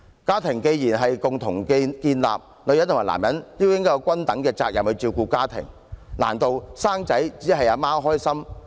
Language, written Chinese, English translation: Cantonese, 家庭既然是共同建立的，女人與男人便應該有均等責任，難道生育只有媽媽開心嗎？, As a family is co - built by a couple both man and woman should take up equal share of responsibility . Is it possible that the birth of a child brings joy only to the mother?